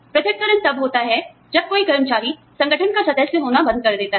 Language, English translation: Hindi, Separation occurs, when an employee ceases to be, a member of the organization